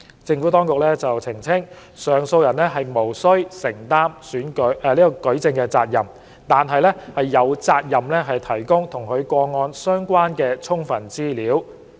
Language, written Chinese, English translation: Cantonese, 政府當局澄清，上訴人無須承擔舉證責任，但有責任提供與其個案相關的充分資料。, The Administration has clarified that while the appellant is not required to bear the burden of proof heshe has a duty to provide sufficient information relevant to the case